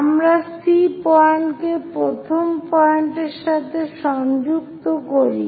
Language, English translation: Bengali, So, let us connect C point all the way to first point